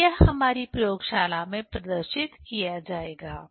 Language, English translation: Hindi, So, that will be demonstrated in our laboratory